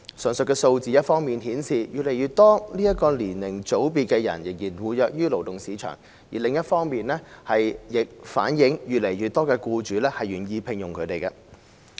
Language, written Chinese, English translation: Cantonese, 上述數字一方面顯示越來越多這個年齡組別的人士仍活躍於勞動市場，另一方面亦反映越來越多僱主願意聘用他們。, These figures show that on the one hand more and more people in this age group are still active in the labour market and on the other more and more employers are willing to employ them